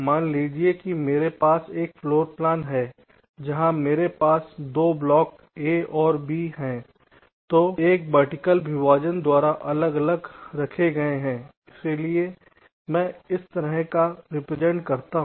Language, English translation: Hindi, suppose i have a floorplan where i have two blocks, a and b, placed side by side, separated by a vertical partitions